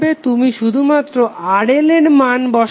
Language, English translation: Bengali, You will just put the value of RL